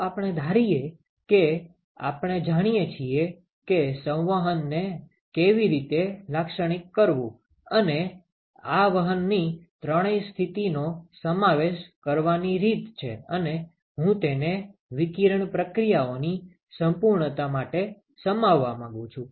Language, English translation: Gujarati, Let us assume that we know how to characterize convection and this is the way to include all three modes of heat transport and I want to include this for sake of completeness of radiation processes ok